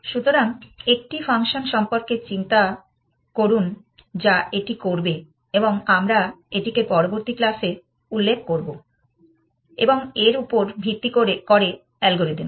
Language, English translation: Bengali, So, think about a function which will do that and we will specify it in the next class and the algorithm which is based on that